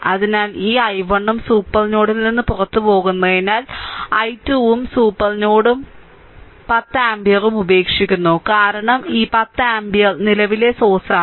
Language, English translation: Malayalam, So, this because this i 1 also leaving the supernode, i 2 also leaving the supernode and 10 ampere also leaving this because it is 10 ampere current source, right